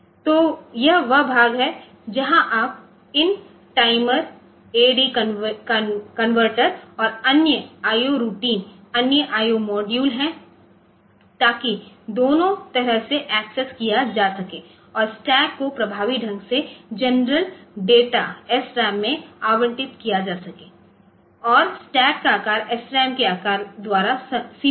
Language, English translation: Hindi, So, this that is where you are accessing these timers AD converters and other I O routines are the other I O modules so that can be accessed both way and stack is effectively allocated in general data SRAM and the stack size is limited by the size of the SRAM